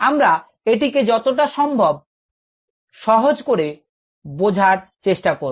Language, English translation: Bengali, let us make things as simple as possible